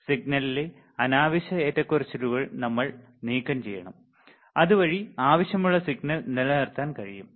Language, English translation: Malayalam, We have to remove the unwanted fluctuation in the signal, so that we can retain the wanted signal